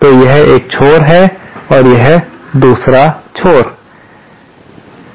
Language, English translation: Hindi, So, this is one edge and this is another edge